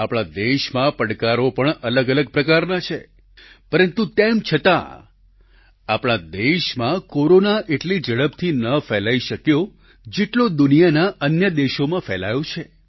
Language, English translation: Gujarati, The challenges facing the country too are of a different kind, yet Corona did not spread as fast as it did in other countries of the world